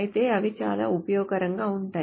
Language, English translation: Telugu, But nevertheless they are very useful